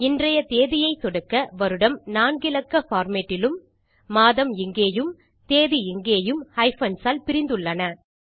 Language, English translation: Tamil, When I click today, you can see here that we have got the year in a 4 digit format and our month here and our day here, separated by hyphens